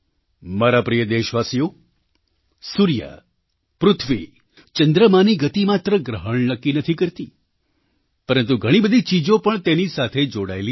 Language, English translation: Gujarati, My dear countrymen, the movement of the sun, moon and earth doesn't just determine eclipses, rather many other things are also associated with them